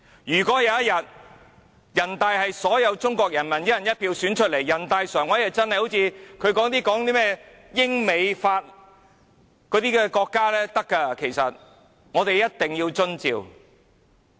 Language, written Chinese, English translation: Cantonese, 如果有一天，全國人大常委會是由所有中國人民以"一人一票"選出來，它才會真的好像他們所說的英、美、法般，可以實行"一地兩檢"。, The Communist Party can press the people for money . Stop lying here! . If the NPCSC is elected by all people in China through one person one vote it can like what they say adopt the co - location arrangement like what the United Kingdom the United States and France have been doing